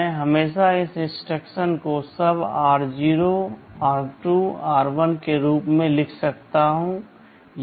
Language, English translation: Hindi, I can always write this instruction as SUB r0, r2, r1